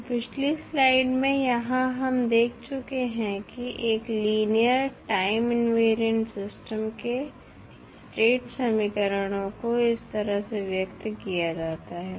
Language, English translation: Hindi, So, here in the previous slide we have seen the state equations of a linear time invariant system are expressed in this form